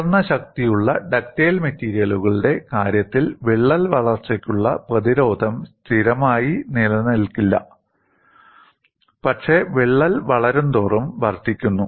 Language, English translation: Malayalam, In the case of high strength ductile materials, resistance to crack growth does not remain constant, but increases as crack grows